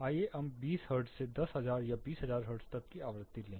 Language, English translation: Hindi, Let us take a frequency from 20 hertz all the way to 10,000 or even 20,000 hertz